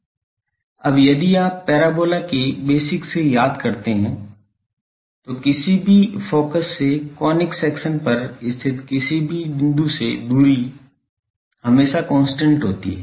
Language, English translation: Hindi, Now, from the parabolas basic any conic section if you remember that if from the distance from the focus to any point on the conic section that is always a constant